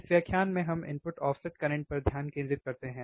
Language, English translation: Hindi, This lecture let us concentrate on input offset current